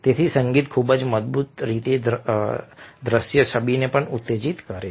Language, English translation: Gujarati, so music very strongly evokes visual image as well